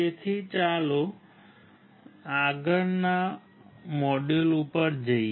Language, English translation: Gujarati, So, let us move to the next module